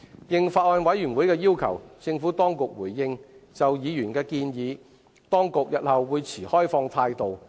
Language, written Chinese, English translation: Cantonese, 應法案委員會的要求，政府當局表示日後會就議員的建議持開放態度。, At the request of the Bills Committee the Administration has responded that it will be open - minded in the future on the issues raised by Members